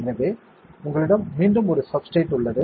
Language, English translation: Tamil, So, you have a substrate again right